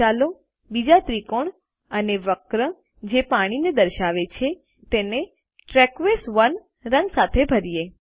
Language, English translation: Gujarati, Next, lets color the other triangle and curve that represent water with the colour turquoise 1